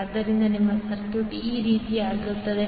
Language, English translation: Kannada, So your circuit will become like this